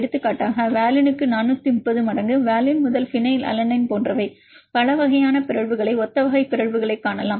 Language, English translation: Tamil, Mainly similar type of residues, for example, isolation to valine 430 times, like valine to phenylalanine you can see the several types of mutations similar type of mutations